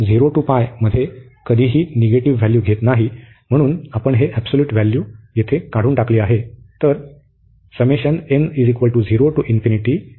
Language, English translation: Marathi, So, this never takes negative values in 0 to pi, therefore we have remove this absolute value here